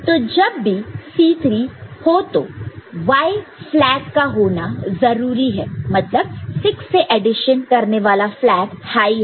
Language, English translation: Hindi, So, whenever C 3 is there right you need to have the Y flag the addition of 6 you know high, isn’t it